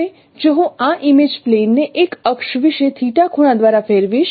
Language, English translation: Gujarati, Now if I rotate this image, say by an angle theta about an axis